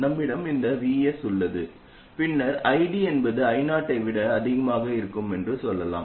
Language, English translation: Tamil, We We have this VS and then let's say ID happens to be more than I 0